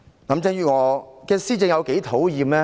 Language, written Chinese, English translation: Cantonese, 林鄭月娥的施政有多討厭？, How disgusting is Carrie LAMs administration?